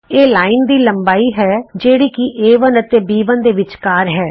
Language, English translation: Punjabi, this is the length of the line which is between A1 and B1